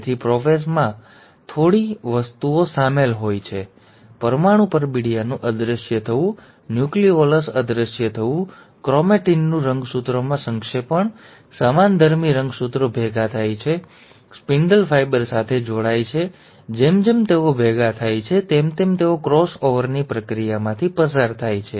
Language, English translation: Gujarati, So prophase one involves few things; disappearance of the nuclear envelope, disappearance of the nucleolus, condensation of the chromatin into chromosome, homologous chromosomes coming together, attaching to the spindle fibre, and as they come together, they undergo the process of cross over